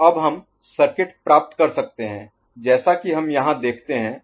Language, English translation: Hindi, So, now we can get the circuit as we have we see over here